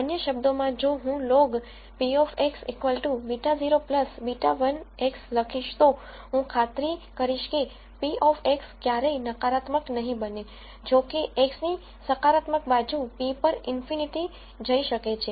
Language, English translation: Gujarati, In other words, if I write log of p of x is beta naught plus beta 1 X, I will ensure that p of x never becomes negative; however, on the positive side p of x can go to infinity